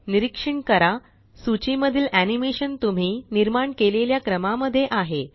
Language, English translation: Marathi, Observe that the animation in the list are in the order in which you created them